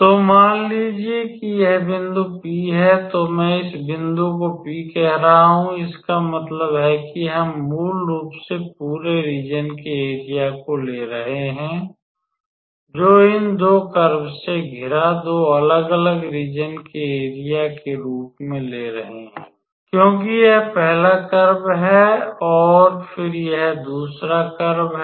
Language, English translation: Hindi, So, suppose this point is P, I am calling this point as P so; that means, we are basically taking the area of the entire region as the area of 2 different area bounded by these 2 curves because this is the first curve and then this is the second curve